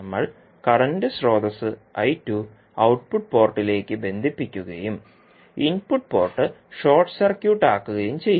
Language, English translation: Malayalam, We have to connect a current source I2 to the output port and short circuit the input port